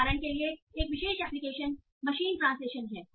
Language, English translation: Hindi, So one application for example is machine translation